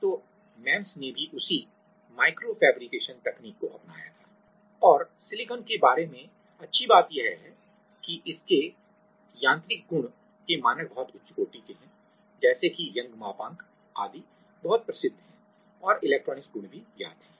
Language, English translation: Hindi, So, MEMS also had has adopted the same micro fabrication technology and the good things about silicon is it has a very standard mechanical properties like its Young’s modulus etc